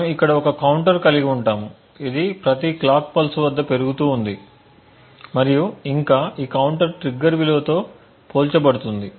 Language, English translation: Telugu, We would have a counter over here which possibly gets incremented at every clock pulse and furthermore this counter is compared with the triggered value